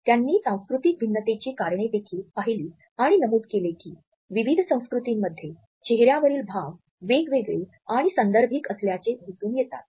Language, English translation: Marathi, He also looked into the reasons of cultural variations and mentioned that several apparent differences in facial expressions among different cultures have to be considered as contextual